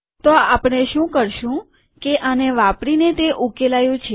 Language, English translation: Gujarati, So what we will do is, that is solved using this